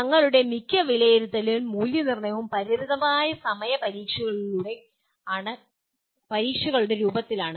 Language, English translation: Malayalam, Most of our evaluation or assessment is in the form of limited time examinations